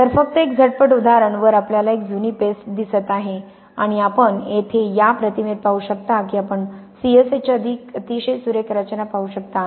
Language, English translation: Marathi, So just a quick example, here we see a quite an old paste and you can see in this image here you can see the very fine structure of the C S H